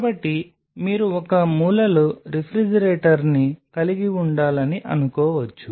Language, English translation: Telugu, So, you may think of having a refrigerator in one of the corners